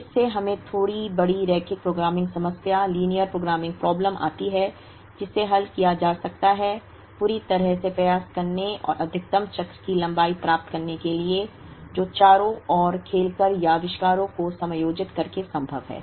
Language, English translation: Hindi, So, this gives us a much slightly larger linear programming problem, which can be solved optimally to try and get the maximum cycle length that is possible by playing around, or adjusting the inventories